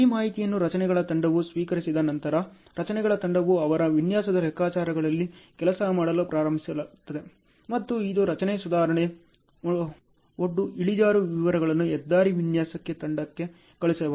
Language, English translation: Kannada, Once this information is received by the structures team, the structures team starts working on their design calculations and it can actually send structure improvement, embankment slopes details to highway design team